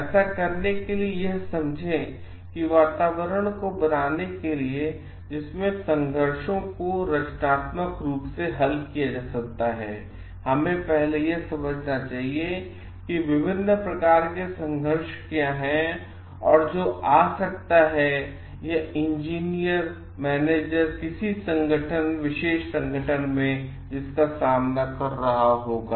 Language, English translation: Hindi, So, to understand that in order to create a climate in which conflicts can be resolved constructively, we must first understand like the what are the different types of conflicts that may arrive or that in engineer manager will be facing in a particular organization